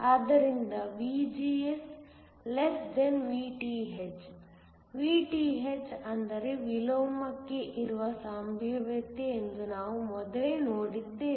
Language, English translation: Kannada, So, VGS < Vth, we saw earlier that Vth is the potential for inversion